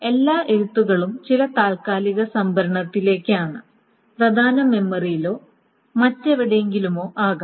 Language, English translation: Malayalam, So all the rights are onto some temporary storage, maybe in the main memory or somewhere else